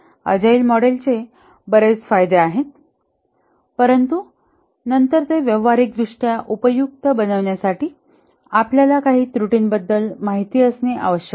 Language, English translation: Marathi, The Agile model has many advantages but then to make it practically useful you must be aware of some pitfalls